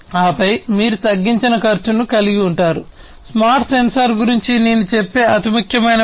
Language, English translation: Telugu, And then you have the reduced cost, the most important function I would say of a smart sensor